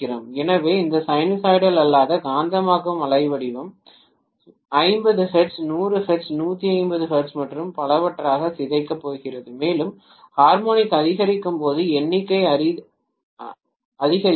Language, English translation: Tamil, So we are going to have this non sinusoidal magnetizing waveform being decomposed into 50 hertz, 100 hertz, 150 hertz and so on and as the harmonic increases the number increases